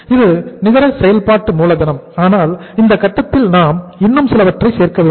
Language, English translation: Tamil, This is net working capital but at this stage we have to add something more